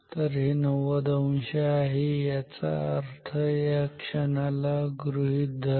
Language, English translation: Marathi, So, this is 90 degree; that means, here consider this point